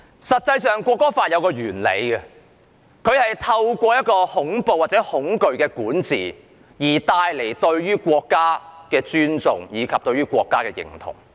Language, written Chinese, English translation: Cantonese, 實際上，《條例草案》的理念，就是透過恐怖或恐懼管治帶來對國家的尊重及認同。, As a matter of fact the idea of the Bill is to make people respect and identify with the country through the reign of terror